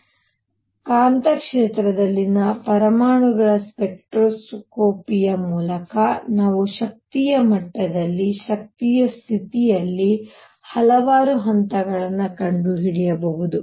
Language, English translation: Kannada, So, through spectroscopy of atoms in magnetic field, we can find out a number of levels in an energy level, in an energy state